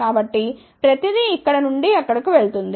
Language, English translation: Telugu, So, everything go from here to there